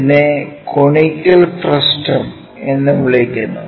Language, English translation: Malayalam, Which which is what we call conical frustum